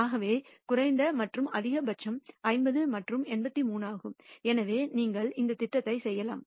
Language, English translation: Tamil, So, the min and max of course, is 50 and 83 and therefore, you can perform this plot